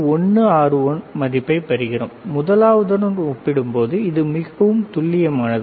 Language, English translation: Tamil, 161 is even more accurate compared to the another one